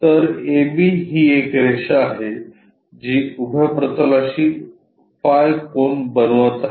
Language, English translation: Marathi, So, AB is a line which is making phi angle with the vertical plane